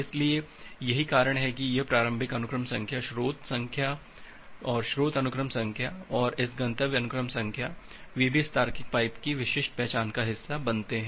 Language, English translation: Hindi, So, that is why this initial sequence number, say source sequence number and this destination sequence number, they also become part of uniquely identifying this logical pipe